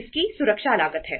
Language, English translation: Hindi, It has the security cost